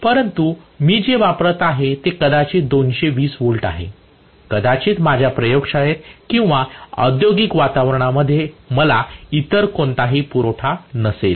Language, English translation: Marathi, but what I am applying is maybe 220 volts, I may not have any other supply in my laboratory or in my you know industrial environment